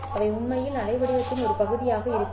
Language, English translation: Tamil, They don't really exist as part of the waveform